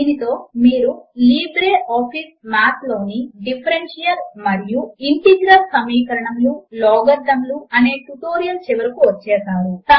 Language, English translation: Telugu, This brings us to the end of this tutorial on writing Differential and Integral equations and logarithms in LibreOffice Math